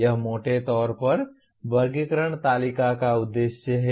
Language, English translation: Hindi, That is broadly the purpose of taxonomy table